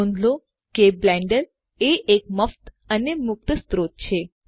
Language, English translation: Gujarati, Do note that Blender is free and open source